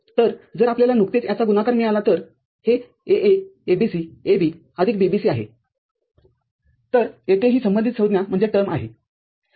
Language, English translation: Marathi, So, if you just get the product of this, then this is AA ABC AB plus BBC